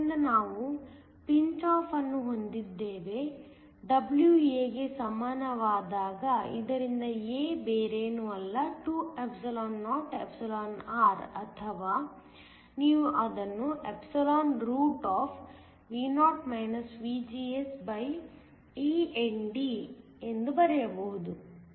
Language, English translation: Kannada, So, we have pinch off, when W is equal to a, so that a is nothing but 2or you can just write it as Vo VGSeND